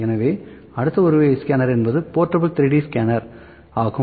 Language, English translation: Tamil, So, one more type of scanner is portable, portable 3D scanner